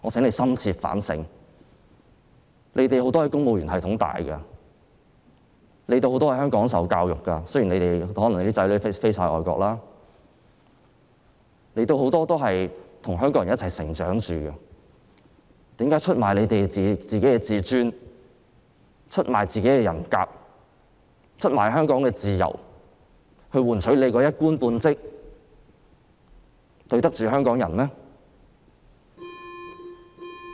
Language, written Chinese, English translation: Cantonese, 你們很多人在公務員系統成長，很多人在香港接受教育——雖然可能你們有些人的子女在外國讀書——你們很多人都是與香港人一起成長，為何要出賣你們的自尊、人格和香港的自由，以換取你的一官半職，這樣對得起香港人嗎？, Many of you have developed your career in the civil service and many of you were educated in Hong Kong though some of you may have children studying overseas . As many of you have grown up together with Hong Kong people why would you sell out your self - esteem and dignity and Hong Kongs freedoms in exchange for a government post? . Can you live up to the expectations of Hong Kong people in doing so?